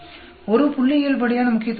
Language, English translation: Tamil, There is a statistical significant